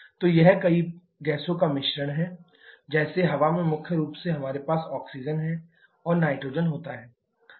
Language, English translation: Hindi, So, it is mixtures of several gasses like in air predominantly we have oxygen and nitrogen